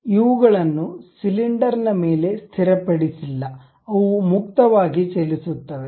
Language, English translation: Kannada, But these are not fixed on the cylinder, they are freely moving